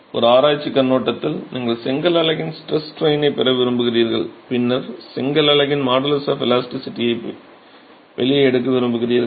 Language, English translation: Tamil, It is more from a research perspective that you would want to get the stress strain relationship of the brick unit and then pull out the modulus of elasticity of the brick unit